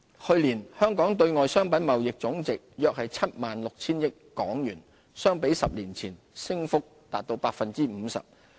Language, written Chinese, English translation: Cantonese, 去年香港對外商品貿易總值約 76,000 億港元，相比10年前，升幅達 50%。, The value of Hong Kongs external merchandise trade amounted to about 7.6 trillion in 2016 a rise of 50 % over the past decade